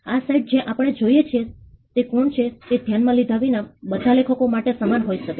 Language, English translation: Gujarati, This site that we see could be the same for all authors regardless of who it is